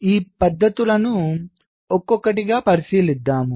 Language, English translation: Telugu, so let us look into this methods one by one